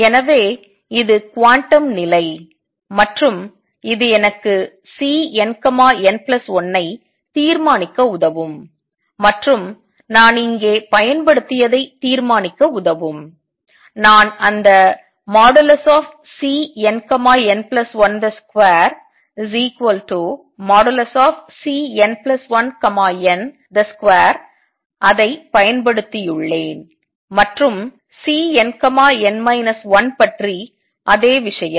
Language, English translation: Tamil, So, this is the quantum condition and this can help me determine C n, C n plus 1 and what I have used here I have also used that C n n plus 1 mod square is same as mod C n plus 1 n mod square and same thing about C n n minus 1